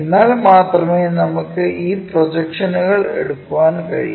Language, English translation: Malayalam, For that only we can take these projections